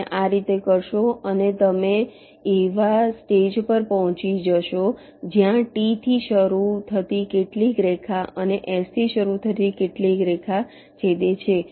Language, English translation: Gujarati, you do in this way and you will reaches stage where some line starting with from t and some line starting with s will intersect